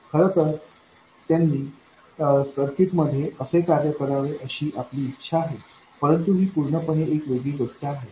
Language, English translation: Marathi, In fact, that's how we want them to behave in this circuit but that is a different step altogether